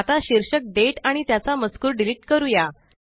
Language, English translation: Marathi, Now, let us delete the heading Date and its contents